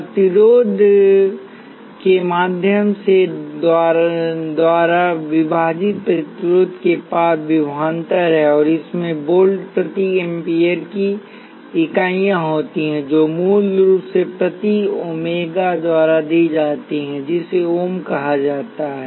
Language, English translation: Hindi, The resistance is the voltage across the resistor divided by the current through the resistor, and it has the units of volts per amperes which is basically given by the symbol omega which is called ohm